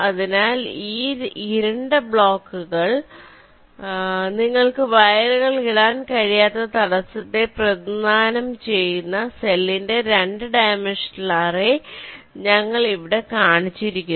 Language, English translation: Malayalam, here we have showed a two dimensional array of cell where this dark block represent the obstacle through which we cannot